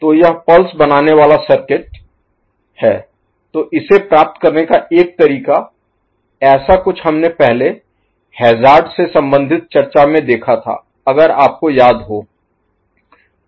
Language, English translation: Hindi, So, this pulse forming circuit so one way of getting it, something like this we had seen in the discussion related to hazard before, if you remember ok